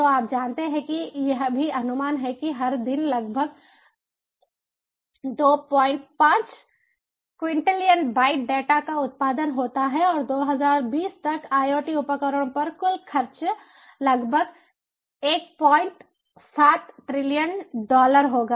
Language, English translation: Hindi, it is also estimated that, ah, every day, about two point five quintillion bytes of data is produced, and the total expenditure on iot devices will be about one point seven trillion dollars by twenty twenty